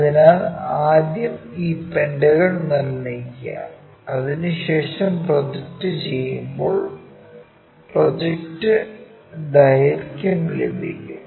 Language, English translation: Malayalam, So, first construct this pentagon, after that project it get the projected length